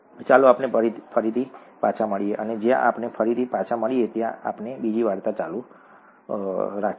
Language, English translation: Gujarati, Let us meet again later and when we meet again, we will continue with another story